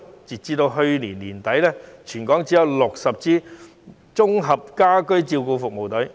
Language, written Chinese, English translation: Cantonese, 截至去年年底，全港只有60支綜合家居照顧服務隊。, As at the end of last year there are only 60 Integrated Home Care Services Teams throughout the territory